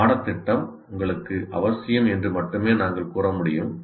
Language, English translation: Tamil, You can only say the curriculum says it is important for you